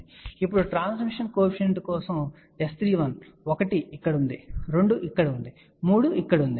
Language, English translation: Telugu, For the transmission coefficient now, S 31, 1 was here, 2 was here, 3 was here